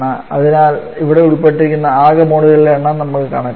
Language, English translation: Malayalam, So let us calculate the total number of moles involved here